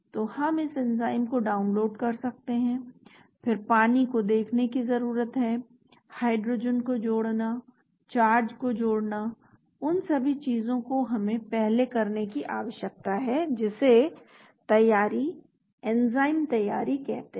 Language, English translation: Hindi, So we can download this enzyme then need to look at the water, adding hydrogen, adding charges all those things we need to do before that is called the preparation, enzyme preparation